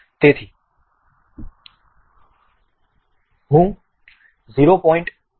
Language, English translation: Gujarati, So, I am selecting 0